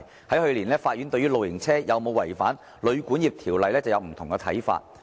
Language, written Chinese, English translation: Cantonese, 去年，法院對於露營車有否違反《旅館業條例》便有不同看法。, Last year the court had differing views on whether caravan hire had violated the Hotel and Guesthouse Accommodation Ordinance